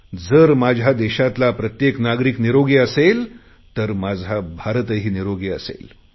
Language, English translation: Marathi, If every citizen of my country is healthy, then my country will be healthy